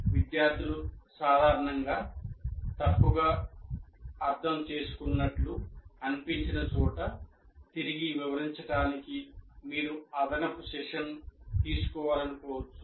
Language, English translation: Telugu, So you may want to take an extra session to re explain something that where people seem to have generally misunderstood